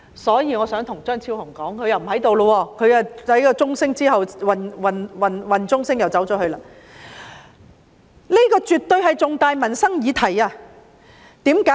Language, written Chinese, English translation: Cantonese, 所以，我想對張超雄議員說——他不在席，在點算人數鐘聲響起時離開了——這絕對是重大的民生議題，為甚麼？, So I want to tell Dr Fernando CHEUNG he is not here . He has left the Chamber during the quorum bell This is definitely an important livelihood issue